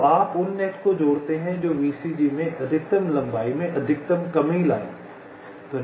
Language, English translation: Hindi, ok, so you merge those pair of nets which will lead to the maximum reduction in the maximum length in vcg